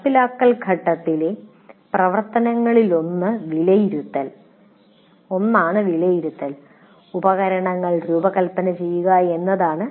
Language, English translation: Malayalam, Now come in the implement phase, one of the activities is designing assessment instruments